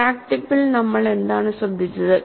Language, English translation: Malayalam, And what is that we noted at the crack tip